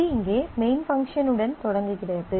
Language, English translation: Tamil, It starts on here with the main